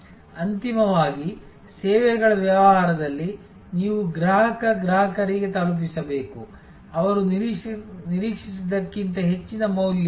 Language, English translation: Kannada, Ultimately in services business, you have to deliver to the customer consumer, more value than they expected